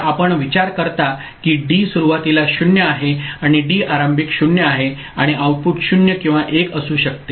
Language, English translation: Marathi, So, you consider that D is initially 0; D is initially 0 and the output could be 0 or 1